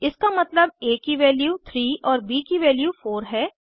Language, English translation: Hindi, This means as value is 3 and bsvalue is 4